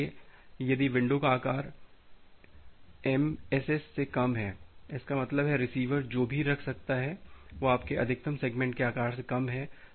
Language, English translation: Hindi, So, if the window size is less than MSS; that means, the receiver can whatever receiver can hold it is less than your maximum segment size